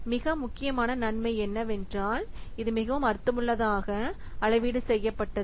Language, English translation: Tamil, So, one of the most important advantage is that it can be very meaningfully calibrated